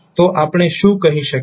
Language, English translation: Gujarati, So, what we can say